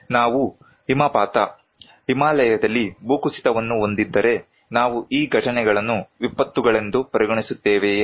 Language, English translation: Kannada, If we have avalanches, landslides in Himalayas, do we consider these events as disasters